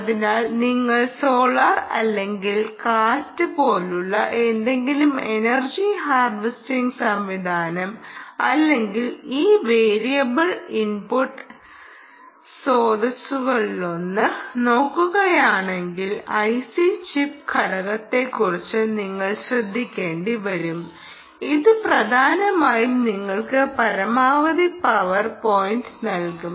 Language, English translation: Malayalam, so any energy harvesting system, any, any harvesting system, particularly if you are looking at solar or wind or any one of these variable input energy sources, you will have to worry about the i c chip component, which, essentially, will give you maximum power point, because the input is all the time changing